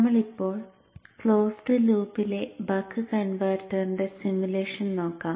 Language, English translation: Malayalam, We shall now look at the simulation of a buck converter in closed loop